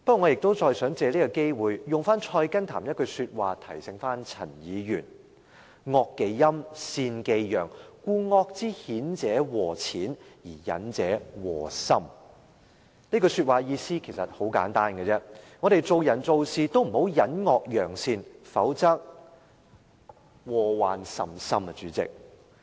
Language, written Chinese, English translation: Cantonese, 我想再藉此機會，引用《菜根譚》的另一句話提醒陳議員："惡忌陰，善忌陽，故惡之顯者禍淺，而隱者禍深"，這句話的意思很簡單，我們做人做事不應隱惡揚善，否則禍患甚深。, I wish to take this chance to quote another remark from Tending the Roots of Wisdom to remind Mr CHAN evil should not be concealed; goodness should not be publicized; thus exposed evil cause less harm but hidden evil cause great harm . The meaning is quite simple . We should not conceal ones faults and praise ones good deeds; otherwise there will be great harm